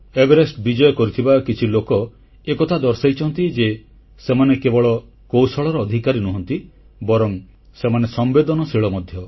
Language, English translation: Odia, There are some mountaineers who have shown that apart from possessing skills, they are sensitive too